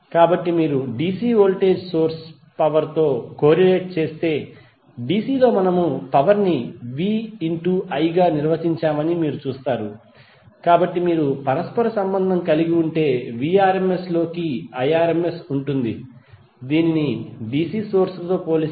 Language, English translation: Telugu, So if you corelate with the DC voltage source power you see that in DC we define power as v into i, so if you correlate the apparent power would be the Irms into Vrms, so that you get a feel of like this is apparent as compared with the DC source